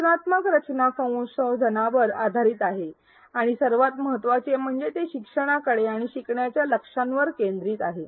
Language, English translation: Marathi, Instructional design is based on research and most importantly most fundamentally it focuses on the learner and the learning goals